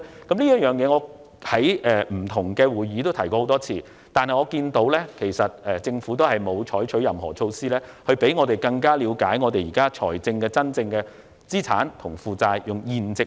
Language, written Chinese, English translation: Cantonese, 我也曾在不同的會議上提出這點，但政府並沒有採取任何措施，以讓我們更了解政府現時的資產和負債現值。, I have also raised this point at different meetings but the Government has not taken any measures yet to give us a better understanding of the current value of its assets and liabilities